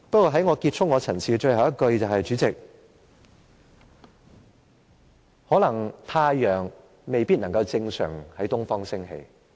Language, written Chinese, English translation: Cantonese, 我在結束陳辭時要說的最後一句是，主席，太陽可能未必能夠正常地從東方升起。, President I would like to close my speech with this last sentence The sun may not rise in the East as usual